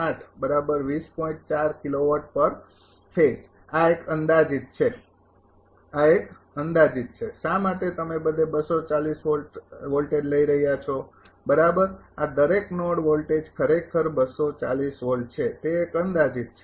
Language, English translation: Gujarati, This is approximate one, this is approximate one why that everywhere you are taking the voltage is 240 volt right this is approximate one that every node voltage is actually 240 volt